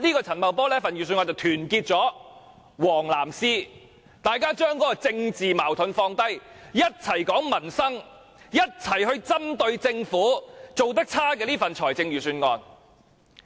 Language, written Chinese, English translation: Cantonese, 陳茂波這份預算案團結了"黃、藍絲"，大家把政治矛盾放下，一起談民生，一起針對政府做得差的這份預算案。, Paul CHANs Budget has united members of the yellow ribbon camp and the blue ribbon camp . They set aside political differences and focus on discussing livelihood - related issues . They jointly criticize this poorly prepared Budget